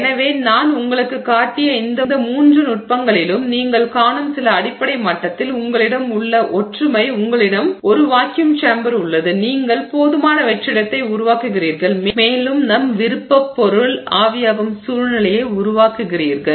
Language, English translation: Tamil, So, you can see in all these three techniques that I showed you at some fundamental level you have the similarity is that you have a vacuum chamber, you generate enough vacuum and you create a situation where the material of interest evaporates